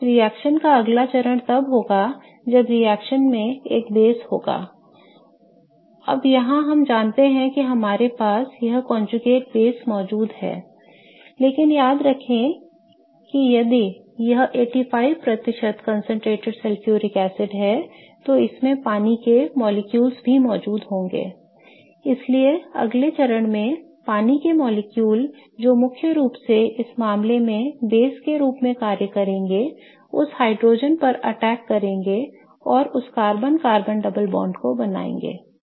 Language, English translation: Hindi, And it's a tertiary carbocotion so it is stable enough and the next step of the reaction would be when a base in the reaction now in this case we know we have that conjugate base present but remember a sulfuric acid if it is 85% concentrated sulfuric acid it also has water molecules present in it so in the next step water molecule which will act mainly as the base in this case is going to come attack that hydrogen and reform that carbon carbon double bond